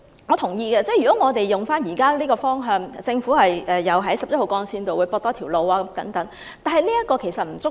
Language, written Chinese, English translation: Cantonese, 我同意按現時的發展方向，政府可在十一號幹線多建一條接駁路，但這並不足夠。, I agree that according to the present direction of development the Government can build an additional link connecting to Route 11 but that is not enough